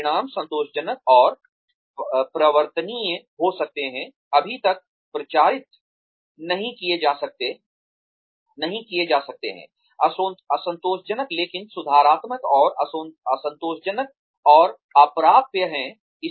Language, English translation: Hindi, The outcomes could be, satisfactory and promotable, satisfactory not promotable yet, unsatisfactory but correctable, and unsatisfactory and uncorrectable